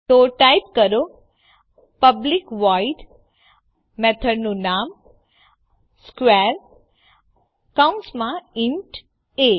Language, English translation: Gujarati, So type public void method name square within parentheses int a